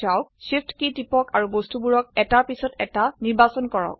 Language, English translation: Assamese, Press the Shift key and slect the object one after another